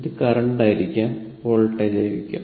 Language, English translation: Malayalam, It may be current, it may be voltage, right